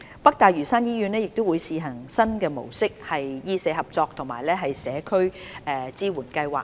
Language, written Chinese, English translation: Cantonese, 北大嶼山醫院亦會試行新模式的醫社合作及社區支援計劃。, New model of medical - social collaboration and community support programme will also be piloted in NLH